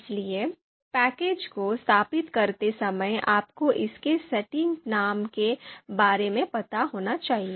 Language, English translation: Hindi, So therefore, the name of the package has to be installed you should be aware about exact name of the package